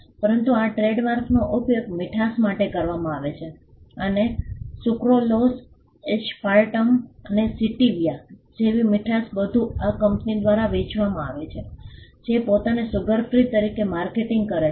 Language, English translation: Gujarati, But this trademark is used for sweetness, and sweetness like sucralose, aspartame and stevia are all sold by this company which markets itself as sugar free